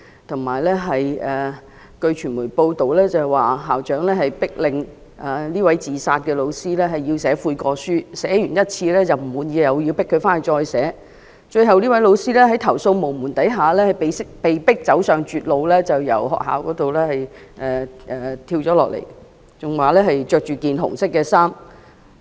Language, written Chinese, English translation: Cantonese, 同時，據傳媒報道，校長迫令這位後來自殺的教師寫悔過書，她已寫了一次，但校長不滿意，並強迫她回去再寫，最後這位教師在投訴無門下，被迫走上絕路，從學校大樓跳下來，報道更指她當時身穿紅衣。, Also according to media reports the teacher who had committed suicide was forced by the school principal to write a statement of repentance but after she submitted the statement the school principal was dissatisfied and forced her to rewrite it . Since the teacher had nowhere else to lodge her complaint she finally resorted to a tragic means and jumped to death on the school campus . It was reported that she was wearing red clothes back then